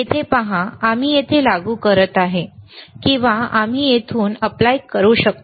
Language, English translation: Marathi, hHere you see, we can apply through here, or we can apply through here